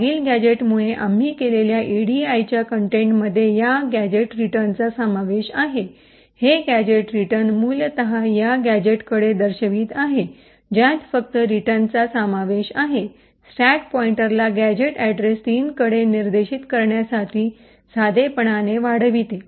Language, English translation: Marathi, Now the contents of the edi what we have done due to the previous gadget contains this gadget return, this gadget return essentially is pointing to this gadget comprising of just a return, simply increments the stack pointer to point to gadget address 3